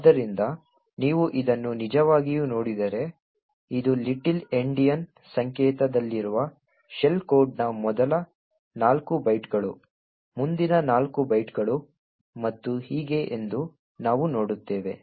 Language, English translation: Kannada, So, if you actually look at this, we see that this are the first four bytes of the shell code in the little Endian notation next four bytes and so on